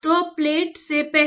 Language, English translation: Hindi, So, before the plate